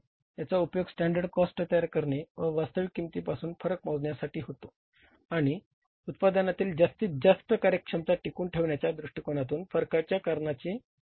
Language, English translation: Marathi, It refers to the preparation of standard cost and applying these two measure the variations from actual cost and analyzing the causes of variations with a view to maintain maximum efficiency in the production